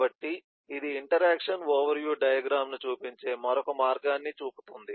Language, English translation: Telugu, so this shows another way of am just another way of showing the interaction overview diagram